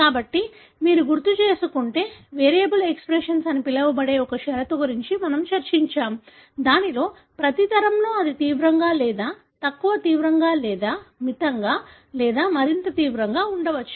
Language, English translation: Telugu, So, if you recall, we have discussed one condition called as variable expression, wherein in every generation it may become severe or less severe or moderate or more severe and so on